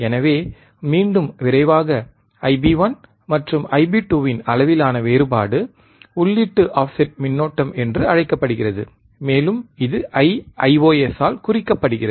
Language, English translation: Tamil, So, quickly again, the difference in the magnitude of I b 1 and I b 2 Ib1 and Ib2 is called input offset current, and is denoted by I ios,